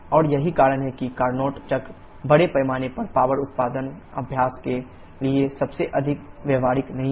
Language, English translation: Hindi, And that is the reason that this Carnot cycle is not the most practical one to have a for large scale power generation practice